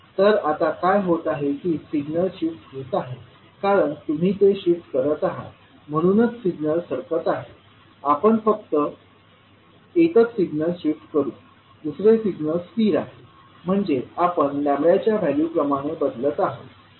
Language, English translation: Marathi, So what is happening now that the signal is shifting because you are shifting it so the signal is shifting, we will only shift one, second one is stationary so we are shifting with respect to the value lambda